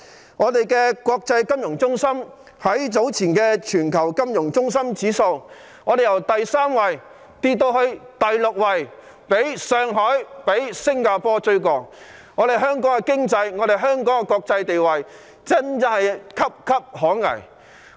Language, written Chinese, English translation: Cantonese, 香港這個國際金融中心在早前全球金融中心指數的排名，由第三位跌至第六位，已被上海及新加坡趕上，香港的經濟及國際地位岌岌可危。, This is the greatest decline since records began in Hong Kong . As an international financial centre the ranking of Hong Kong has fallen from the third place to the sixth place in the Index of Global Financial Centres Index published earlier on surpassed by Shanghai and Singapore . The economic and global status of Hong Kong is now at stake